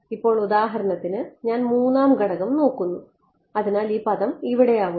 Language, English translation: Malayalam, Now for example, I look at the 3rd component right so, this term over here